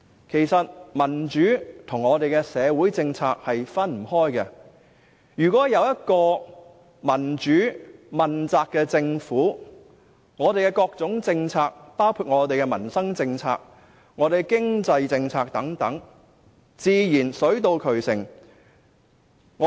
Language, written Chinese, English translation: Cantonese, 其實，民主和社會政策不可分割，如果有一個民主問責的政府，我們的各種政策，包括民生政策和經濟政策等，自然水到渠成。, In fact democracy and social policies are inseparable . If our Government is a democratic and accountable one then all our policies including livelihood and economic policies will be effected naturally